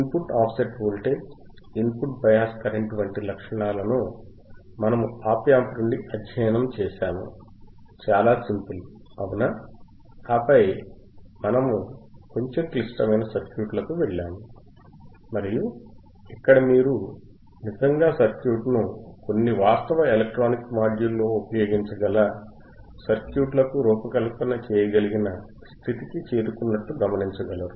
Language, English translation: Telugu, We have studied just from characteristics of op amp, just input offset voltage, input bias current, very simple right and then we move to little bit complex circuits and here you see that we have reached to the circuits where you can really use the circuit in some actual electronic module